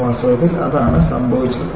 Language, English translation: Malayalam, In fact, that is what has happened